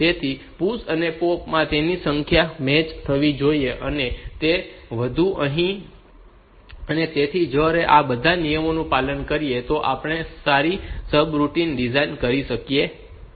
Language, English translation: Gujarati, So, their number should match and all that and so, if we follow all these rules then we will be able to design good subroutine